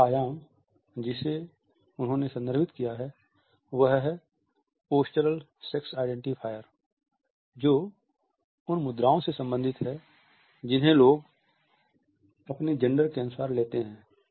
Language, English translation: Hindi, The first dimension which he has referred to is the postural sex identifier which is related with the postures which people take according to their gender